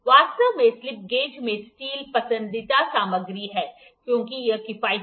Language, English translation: Hindi, Actually the steel is preferred material in the slip gauges, because it is economical